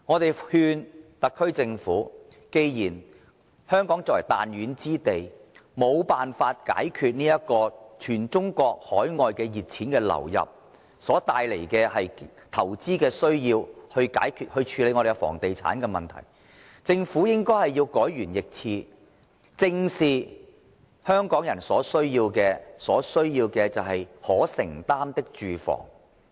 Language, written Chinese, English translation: Cantonese, 我們勸誡特區政府，既然香港這個彈丸之地，無辦法解決因全中國及海外熱錢流入所帶來的投資需要，無法處理房地產的問題，那麼政府便應改弦易轍，正視香港人所需，提供市民可承擔的住房。, We have to advise the SAR Government that since this tiny place of ours is unable to address the investment need brings about by the influx of hot money from Mainland and overseas countries and unable to deal with the property issue then the Government should make a drastic change by facing the need of Hong Kong people squarely and supplying them with affordable housing